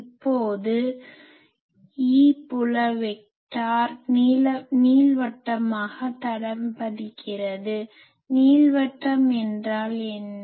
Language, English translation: Tamil, Now, the E field vector when it traces an ellipse what is an ellipse